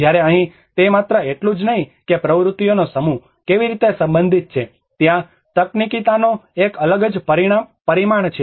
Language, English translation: Gujarati, \ \ Whereas here it is not only that how a set of activities are related to, there is a different dimension of technicality comes into it